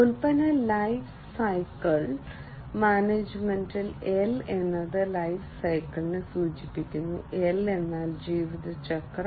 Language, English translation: Malayalam, The L of product lifecycle management stands for lifecycle, L stands for lifecycle